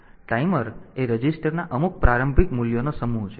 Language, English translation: Gujarati, So, timer it is a set to some initial value of registers